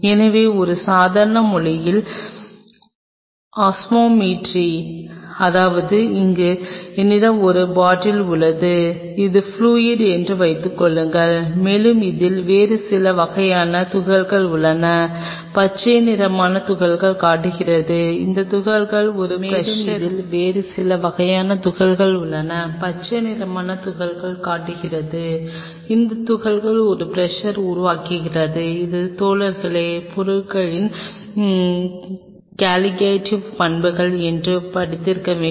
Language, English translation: Tamil, So, Osmolarity in a layman language; that means, suppose here I have a bottle and this is fluid, and I has certain other kind of particles in it the green ones are showing the particles, and these particles generates a pressure which is part of something guys must have studied called Colligative properties of material